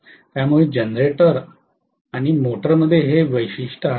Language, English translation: Marathi, So generator and motor have this distinctive feature